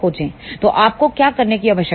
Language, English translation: Hindi, So, what you need to do